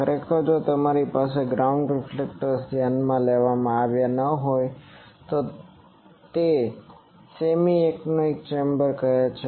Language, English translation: Gujarati, Actually if you do not have the ground reflections considered then it is called semi anechoic